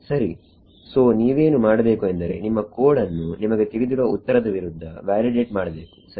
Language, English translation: Kannada, Right so, what you need to do is validate your code against the known solution right